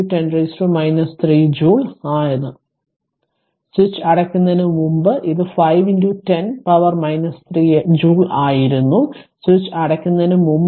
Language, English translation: Malayalam, 5 into 10 to the power minus 3 joule; that means, before switch closed it was 5 into 10 to the power minus 3 joule, that is when switch was before closing the switch